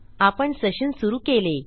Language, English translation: Marathi, We have our session set